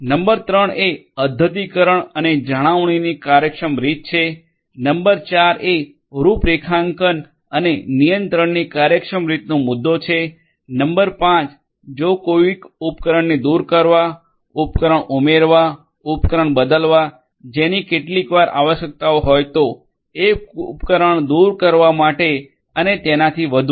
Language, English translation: Gujarati, Number 3 is efficient way of carrying out updations and maintenance, number 4 would be the issue of efficient way of configuration and control, number 5 would be if it is required sometimes it is required sometimes it is required to remove a particular device, to add a device, to change a device, to remove a device and so on